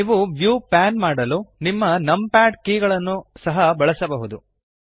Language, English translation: Kannada, You can also use your numpad keys to pan the view